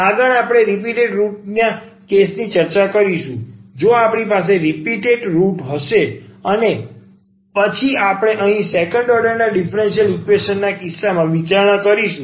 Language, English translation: Gujarati, Next we will discuss the case of the repeated roots, that what will happen if we have the repeated root and again we will consider here the case of the second order differential equation